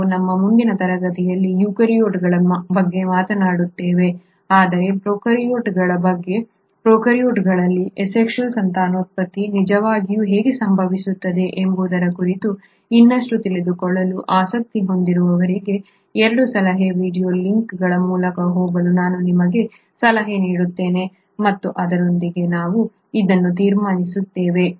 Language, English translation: Kannada, We will talk about the eukaryotes in our next class, but for those who are interested to know more about prokaryotes and how the asexual reproduction in prokaryotes really happens, I would suggest you to go through the 2 suggested video links and with that we conclude this video and we will meet again in the next one, thank you